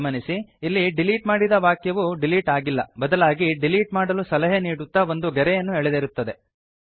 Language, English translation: Kannada, Note that the deletion does not actually delete the line, but marks it as a line suggested for deletion